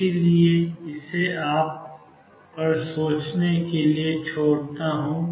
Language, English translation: Hindi, So, I leave that for you to think about